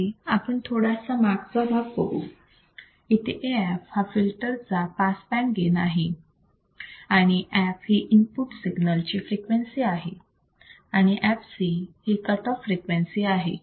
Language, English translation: Marathi, Here AF is the pass band gain of the filter, f is the frequency of the input signal, fc is the cutoff frequency